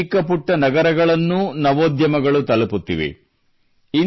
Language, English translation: Kannada, The reach of startups has increased even in small towns of the country